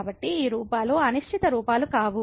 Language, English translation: Telugu, So, these forms are not indeterminate forms